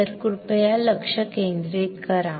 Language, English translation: Marathi, So, please focus